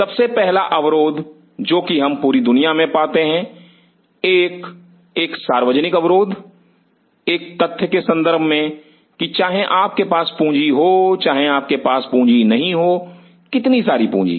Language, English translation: Hindi, the first constraint which we see all over the world a common constraint respective of the fact whether you have money, where you do not have money, how much money